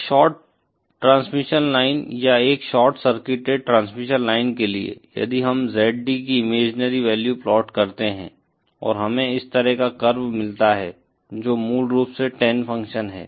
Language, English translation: Hindi, For a shorted transmission line or a short circuited transmission line, if we plot the imaginary value of ZD and we get a curve like this, which is basically the Tan function